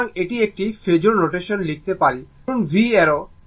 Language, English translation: Bengali, So, this one we can write in phasor notation say v arrow ok